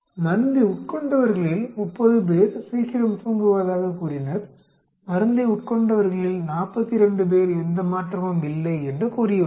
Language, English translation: Tamil, 30 of the people who took drug said they slept early, 42 of the people who took drug said there is no change